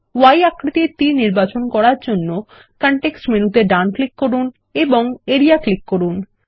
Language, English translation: Bengali, Select the Y shaped arrow, right click for the context menu and click Area